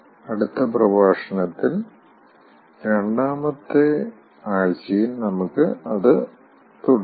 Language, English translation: Malayalam, i will continue over it in the second week, in the next lecture